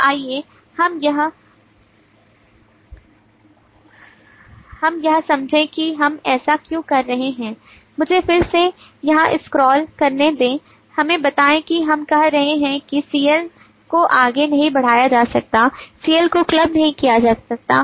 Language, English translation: Hindi, so let us understand why are we saying so let me again scroll up suppose here let us read the leave we are saying that cl cannot be carried forward, cl’s cannot be clubbed